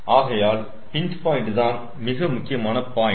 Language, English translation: Tamil, so pinch point is the most crucial point